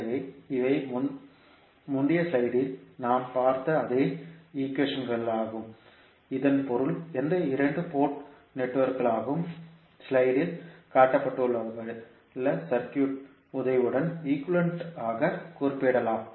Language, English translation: Tamil, So, these are the same equations which we just saw in the previous slide, so that means that any two port network can be equivalently represented with the help of the circuit shown in the slide